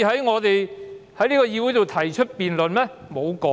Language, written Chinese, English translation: Cantonese, 我們不可以在議會裏提出辯論嗎？, Are we not allowed to propose a debate in this legislature?